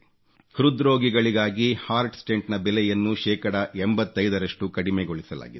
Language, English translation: Kannada, The cost of heart stent for heart patients has been reduced to 85%